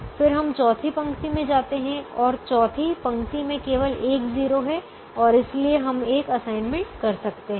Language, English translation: Hindi, then we go to the fourth row and the fourth row has only one zero and therefore we can make an assignment